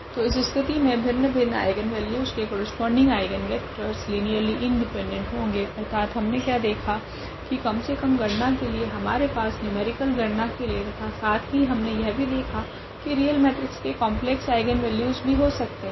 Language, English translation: Hindi, So, in this case the eigenvectors corresponding to distinct eigenvalues are linearly independent this is what we have observed at least for the calculations we had in numerical calculations and also what we have observed here that a real matrix may have a complex eigenvalues